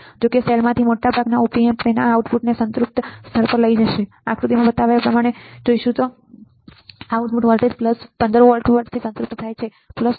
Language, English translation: Gujarati, But most op amps of the self will drive their outputs to a saturated level either negative or positive right for example, in the given figure what we see the output voltage saturated at value 14